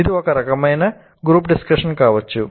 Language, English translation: Telugu, It can be some kind of a group discussion